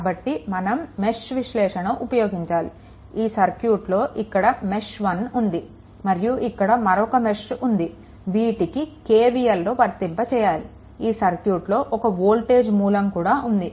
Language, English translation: Telugu, So, we have to apply your mesh analysis ah; that means, KVL this is 1 mesh; this is another mesh, you apply KVL and accordingly, you find out only thing is that 1 voltage source is here